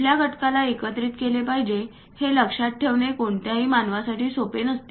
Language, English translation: Marathi, It is not easy for any human being to remember which components supposed to go where and so on